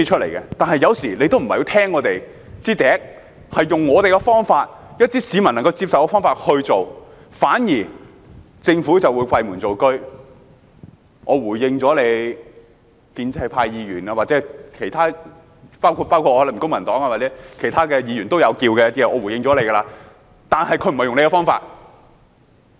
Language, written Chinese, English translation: Cantonese, 然而，當局有時候不太聽我們的意見，用我們建議的方法、一些市民能夠接受的方法去落實，反而會閉門造車，說已經回應了建制派議員或其他議員，包括我、公民黨或其他提出意見的議員，但當局不是用我們的方法。, Nevertheless the authorities sometimes take an armchair approach to the implementation instead of listening to our views or adopting our suggested methods that are acceptable to the public . They claim to have responded to pro - establishment Members or other Members including me Members of the Civic Party or other Members who have expressed views but the authorities are not using our method